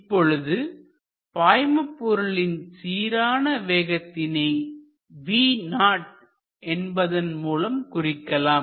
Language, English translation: Tamil, Let us say that this is a uniform velocity with which it enters say we call it v 0